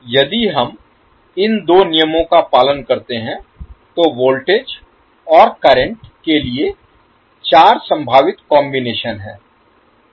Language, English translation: Hindi, So if we follow these two rules, the possible combinations for voltage and current are four